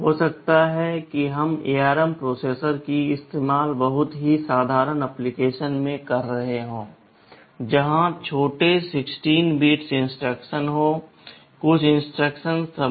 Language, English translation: Hindi, Maybe we are using the ARM processor in a very simple application, where smaller 16 bit instructions are there, some instruction subset